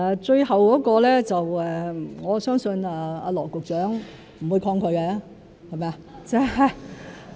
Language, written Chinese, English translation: Cantonese, 最後的邀約我相信羅局長不會抗拒，是嗎？, On his last point regarding the invitation I believe Secretary Dr LAW will not resist it right?